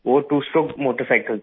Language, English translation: Hindi, It was a two stroke motorcycle